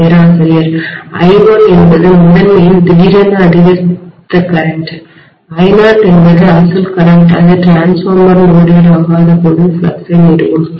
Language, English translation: Tamil, I1 is the current that has suddenly increased in the primary, I0 was the original current which established the flux when the transformer was not loaded